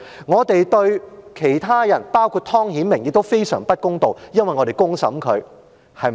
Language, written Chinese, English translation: Cantonese, 我們對其他人，包括湯顯明，亦非常不公道，因為我們公審他。, Likewise we would have been very unfair to others including Mr Timothy TONG because we had put them on trial by public opinion